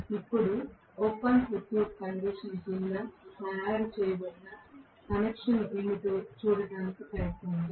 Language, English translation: Telugu, Now, let us try to look at what is actually the connection that is made under the open circuit condition